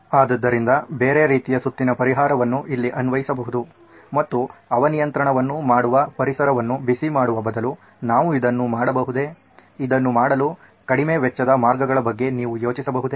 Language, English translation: Kannada, So the other way round solution can be applied here and can I instead of heating the environment which is what the air conditioning will do, can you think of lower cost ways to do it